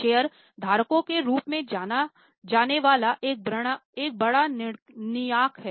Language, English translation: Hindi, There is a large body known as shareholders